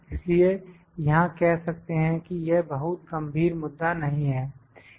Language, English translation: Hindi, So, here we can say that this is not a very serious issue